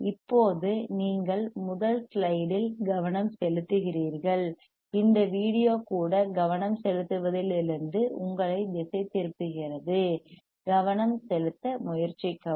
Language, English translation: Tamil, Right now you focus on the first slide, even this video is distracting you from focusing, try to focus